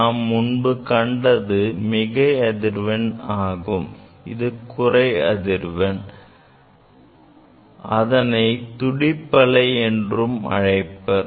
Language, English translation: Tamil, So, this is the higher frequency; this is the higher frequency and this is the lower frequency called beat frequency